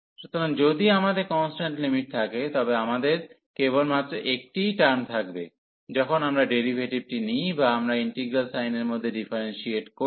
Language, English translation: Bengali, So, if we have the constant limits, we will have only the one term, when we take the derivative or we differentiate under integral sign